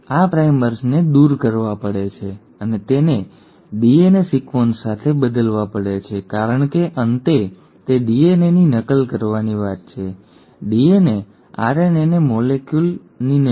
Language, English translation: Gujarati, All these primers have to be removed and have to be replaced with a DNA sequence, because in the end it is about copying the DNA and not DNA RNA molecule